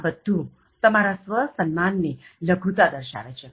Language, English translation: Gujarati, All are indicating your low level of self esteem